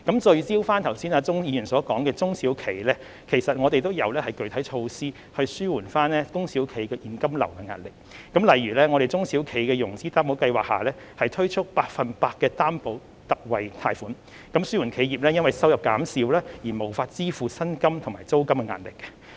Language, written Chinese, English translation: Cantonese, 聚焦鍾議員剛才所說的中小企，其實我們亦有具體措施紓緩中小企的現金流壓力，例如在中小企融資擔保計劃下，推出百分百擔保特惠貸款，紓緩企業因為收入減少而無法支付薪金和租金的壓力。, For small and medium enterprises SMEs mentioned by Mr CHUNG just now we also have specific measures to ease their cash flow pressure . For instance the Special 100 % Loan Guarantee under the SME Financing Guarantee Scheme seeks to alleviate the pressure arising from the failure of the reduced revenue to cover the salary and rental